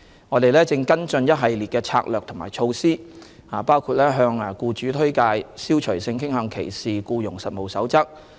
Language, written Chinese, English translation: Cantonese, 我們正跟進一系列策略及措施，包括向僱主推廣《消除性傾向歧視僱傭實務守則》。, We are following up on a range of strategies and measures which include promoting the Code of Practice against Discrimination in Employment on the Ground of Sexual Orientation to employers